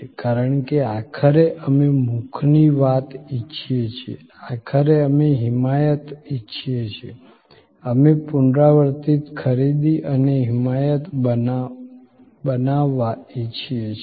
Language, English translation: Gujarati, Because, ultimately we want the word of mouth, ultimately we want advocacy, we want repeat purchase and creating advocacy